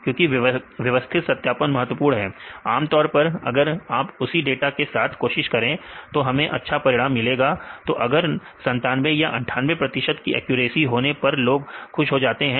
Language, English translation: Hindi, Because systematic validation is important, usually if you do try in with the same data set; we get good results, then people be happy my accuracy is 97 percent or 98 percent